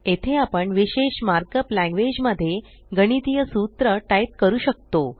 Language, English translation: Marathi, Here we can type the mathematical formulae in a special markup language